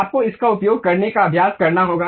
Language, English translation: Hindi, You have to practice how to use this